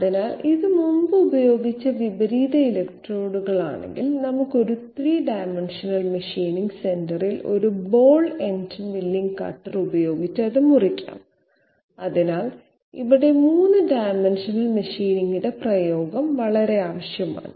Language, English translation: Malayalam, So if this is the inverted electrode which was used previously, we can use a ball ended milling cutter on a 3 dimensional machining centre and cut it out, so here the application of 3 dimensional machining is very much required